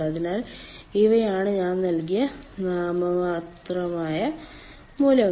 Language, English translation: Malayalam, so these are the values, nominal values i have given